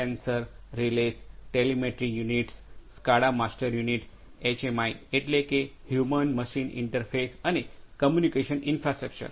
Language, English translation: Gujarati, Sensors, Relays, Telemetry Units, SCADA master units, HMIs that means, the Human Machine Interfaces and the Communication Infrastructure